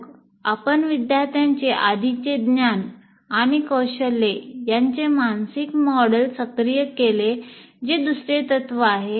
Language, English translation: Marathi, And then you activate the mental model of the prior knowledge and skill of the student